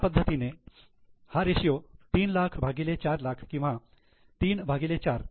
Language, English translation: Marathi, The ratio is 3 lakhs upon 4 lakhs or 3 by 4